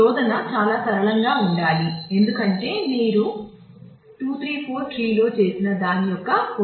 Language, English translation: Telugu, So, search should be very simple, because its just an extension of what you did in 2 3 4 trees